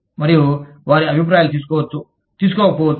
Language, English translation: Telugu, And, their opinions may be taken, may not be taken